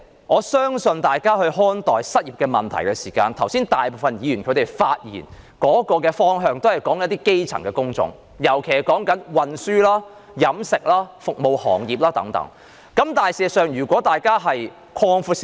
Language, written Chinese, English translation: Cantonese, 換言之，在看待失業問題上，大部分議員剛才發言時也只提及一些基層工種，尤其是運輸、飲食、服務行業等，但大家的眼界可以擴闊一點。, In other words on the issue of unemployment most Members have merely mentioned in their earlier speeches some grass - roots jobs particularly those in the transport catering and service industries yet we should broaden our horizons a bit